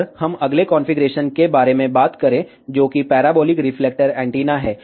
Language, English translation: Hindi, Now, we will talk about the next configuration, which is parabolic reflector antenna